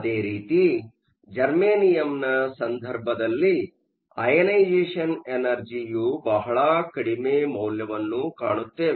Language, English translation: Kannada, Similarly, in the case of germanium, we will find that the ionization energies are very small